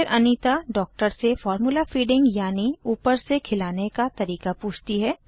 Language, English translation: Hindi, Then, Anita asks the doctor about formula feeding the baby